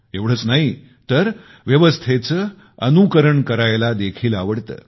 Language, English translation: Marathi, Not just that, they prefer to follow the system